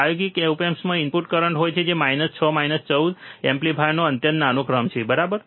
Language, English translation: Gujarati, The practical op amps have input currents which are extremely small order of minus 6 minus 14 ampere, right